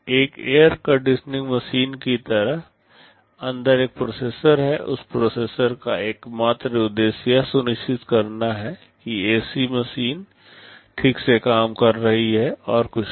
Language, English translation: Hindi, Like an air conditioning machine, there is a processor inside, the sole purpose of that processor is to ensure that the ac machine is working properly, and nothing else